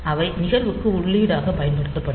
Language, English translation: Tamil, So, they will be used as input for the event